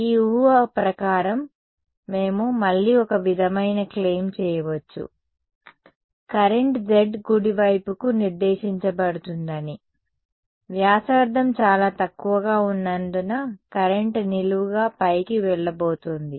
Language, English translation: Telugu, Under this assumption, we can again a sort of make a claim that the current is going to be z directed right; the current was going to go be going vertically up because the radius is very small